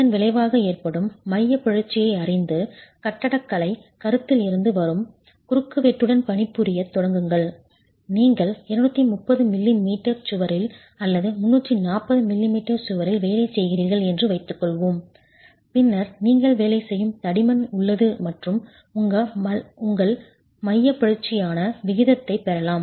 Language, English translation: Tamil, Knowing the result in eccentricity divide by the assumed you start working with a cross section which comes from architectural considerations, let's say you're working with a 230 m wall or 340 m wall, then you have thickness with which you're working and you can get your eccentricity ratio which in this case would be e cap divided by T